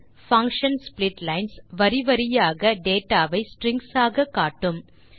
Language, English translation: Tamil, The function splitlines displays the data line by line as strings